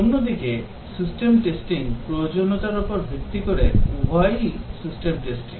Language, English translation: Bengali, Whereas, the system testing is based on the requirements both are system testing